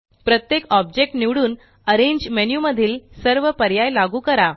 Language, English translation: Marathi, Select each object and apply each option from the arrange menu